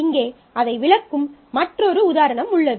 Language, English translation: Tamil, So, here is another example where we are illustrating that